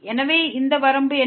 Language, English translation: Tamil, So, what is this limit